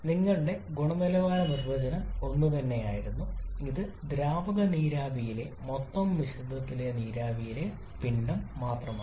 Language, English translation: Malayalam, your quality definition was the same only which is a mass fraction of the vapor in a total mixture of liquid vapor